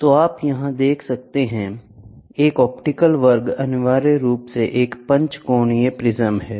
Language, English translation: Hindi, So, you can see here, an optical square is essentially a pentagonal prism pentaprism